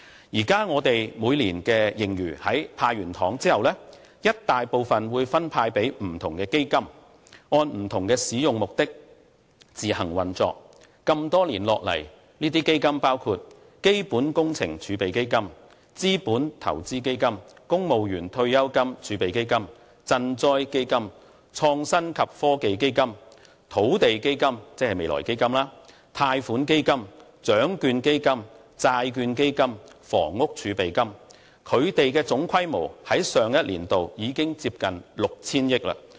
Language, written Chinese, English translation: Cantonese, 現在我們每年的盈餘在"派糖"後，一大部分會分派予不同基金，按不同使用目的自行運作，這麼多年下來，這些基金包括：基本工程儲備基金、資本投資基金、公務員退休金儲備基金、賑災基金、創新及科技基金、土地基金、貸款基金、獎券基金、債券基金及房屋儲備金，它們的總規模於上一年度已接近 6,000 億元。, At present after deducting the amount for sweeteners a substantial part of our annual fiscal surplus has been allocated to different funds for their use according to their different purposes . A number of funds have been established over the years which include the Capital Works Reserve Fund Capital Investment Fund Civil Service Pension Reserve Fund Disaster Relief Fund Innovation and Technology Fund Land Fund Loan Fund Lotteries Fund Bond Fund and the Housing Reserve